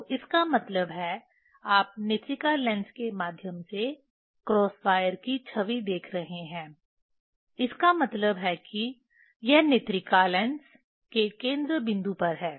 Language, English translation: Hindi, So; that means, you are seeing the image of the cross wire through the eyepiece lens; that means, it is at the focal point of the eyepiece lens